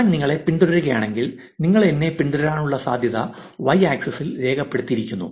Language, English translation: Malayalam, If I follow you what is the probability that you will follow me back that is what is put on the y axis